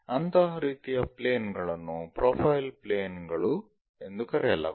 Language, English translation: Kannada, So, such kind of planes are called profile planes